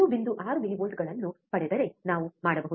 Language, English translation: Kannada, 6 millivolts, right